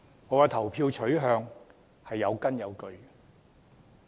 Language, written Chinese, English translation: Cantonese, 我的投票取向是有根有據的。, My voting preference is well - founded